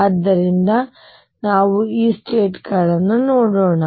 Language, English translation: Kannada, So, let us make these states